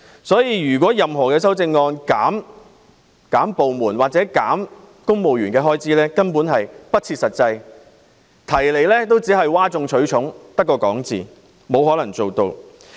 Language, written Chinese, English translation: Cantonese, 所以，如果修正案要求削減個別部門或公務員的開支，是不切實際的，只是譁眾取寵，只尚空談，根本沒有可能做到。, Therefore if an amendment seeks to reduce the expenditures of individual departments or civil servants it is unrealistic . Members who propose such amendments are simply talking big to impress people . The amendments are nothing but empty talk which cannot be passed